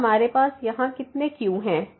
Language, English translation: Hindi, So, now how many ’s we have here